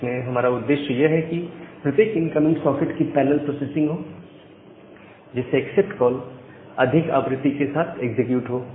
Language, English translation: Hindi, So, our idea is that the parallel processing of each incoming socket, so that the accept call is executed more frequently